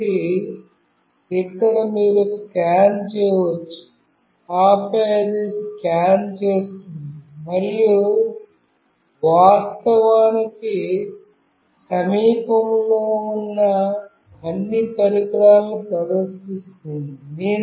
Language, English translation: Telugu, So, here you can scan, and then it will scan and will actually display what all devices are nearby